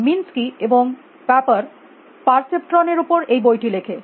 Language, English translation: Bengali, Minsky and paper wrote this book on perceptions